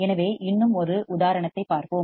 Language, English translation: Tamil, So, let us see one more example